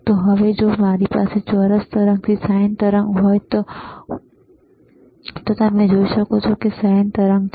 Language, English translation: Gujarati, So now, if I have from the square wave 2to sine wave, you can see there is a sine wave, right